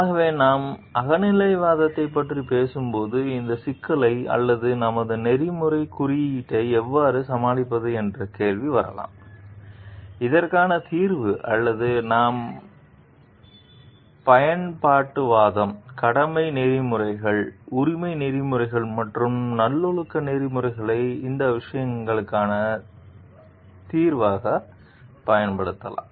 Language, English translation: Tamil, So and when we talk of subjectivism, so question may come how do we tackle this problem or our code of ethics a solution for this or we can use utilitarianism, duty ethics, rights ethics and virtue ethics as a solution for these things